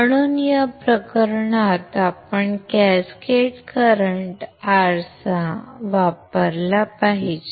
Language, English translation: Marathi, So, what can we do, we can use cascaded current mirror